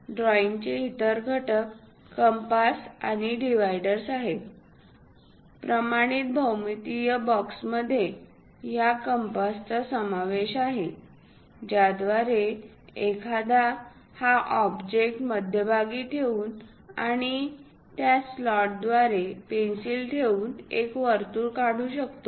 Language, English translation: Marathi, The other drawing components are compasses and dividers; the standard geometrical box consist of this compass through which one can draw circle by keeping this object at the middle and keeping a pencil through that slot, one can draw a perfect circle or an arc